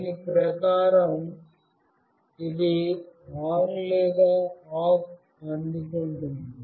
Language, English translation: Telugu, Accordingly, what it receives either ON or OFF